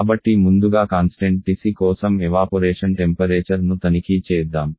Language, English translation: Telugu, So first let us check the evaporation temperature for constant TC